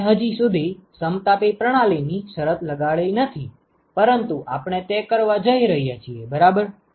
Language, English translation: Gujarati, We have not yet imposed the condition of isothermal system yet we are going to do that ok